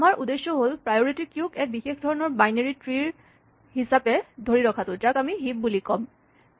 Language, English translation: Assamese, So, our goal is to maintain a priority queue as a special kind of binary tree which we will call a heap